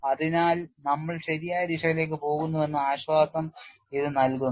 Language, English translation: Malayalam, So, this gives a comfort that we are preceding in the right direction